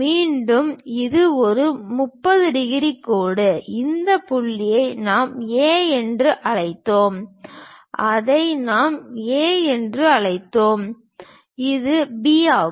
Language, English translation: Tamil, Again this is a 30 degrees line, this point we called A, this point we called this is A, this is B